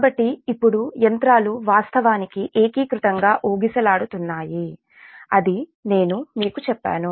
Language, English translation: Telugu, so now the machines actually swinging in unison, that is coherently, i told you